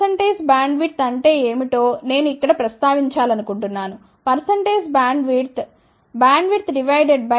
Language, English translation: Telugu, I just want to mention here what is percentage bandwidth, percentage bandwidth is defined by bandwidth divided by center frequency multiplied by 100 ok